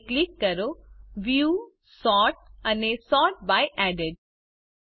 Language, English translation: Gujarati, Now, click on Views, Sort and Sort by Added